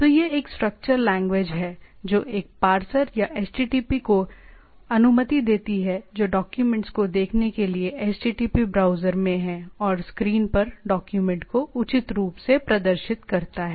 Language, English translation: Hindi, So, this is a structured language which allows a parser or HTTP which is there in the HTTP browser to look at the document and appropriately display the document on the screen right